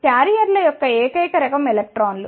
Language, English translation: Telugu, So, the only type of carriers are the electrons